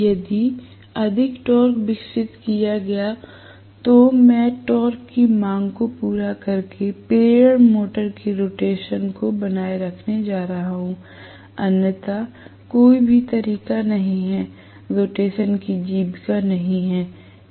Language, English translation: Hindi, Only if there is more torque developed, I am going to sustain the rotation of the induction motor by meeting the torque demand, otherwise there is no way the sustenance of the rotation will not take place